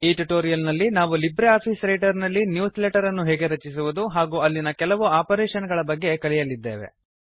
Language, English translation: Kannada, In this tutorial we will learn how to create newsletters in LibreOffice Writer and a few operations that can be performed on them